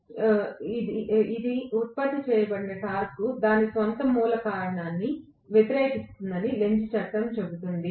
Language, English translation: Telugu, So, Lenz’s law will say that the torque generated would oppose its own root cause